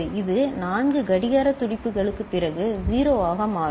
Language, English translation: Tamil, It will become 1 after 4 clock pulses